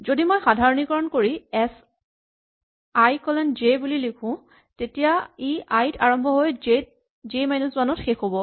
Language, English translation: Assamese, In general, if I write s i colon j then it starts at s i and ends at s j minus 1